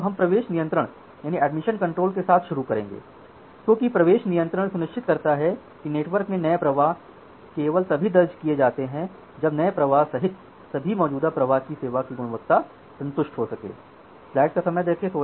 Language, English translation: Hindi, So, let us start with admission control as we are mentioning that admission control ensures that new flows are entered in the network only if the quality of service of all the existing flows including the new flow can be satisfied